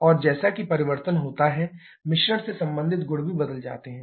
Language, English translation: Hindi, And as that changes, corresponding property of the mixture can also change